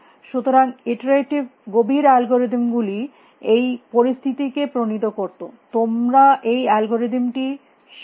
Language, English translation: Bengali, So, iterative deepening algorithms devised that situation that you learn the algorithm